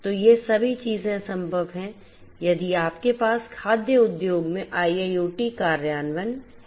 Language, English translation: Hindi, So, all of these things are possible if you have IIoT implementation in the food industry